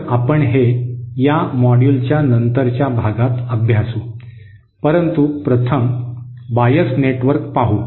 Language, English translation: Marathi, So that is what we will expose in the later parts of this module, but first the bias network